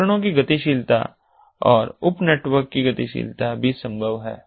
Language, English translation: Hindi, mobility of the devices and the mobility of the sub networks also is possible